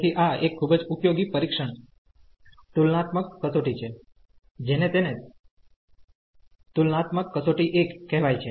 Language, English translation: Gujarati, So, this is a very useful test comparison test it is called comparison test 1